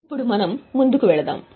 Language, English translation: Telugu, Now let us go ahead